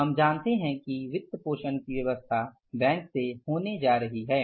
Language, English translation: Hindi, Financing arrangements are going to be from bank